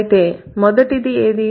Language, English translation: Telugu, So, what is the first one